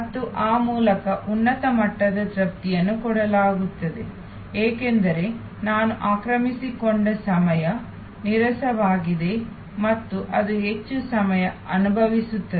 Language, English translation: Kannada, And thereby higher level of satisfaction is created, because I am occupied time is boring and it feels longer